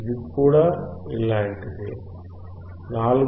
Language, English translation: Telugu, It is also similar; 4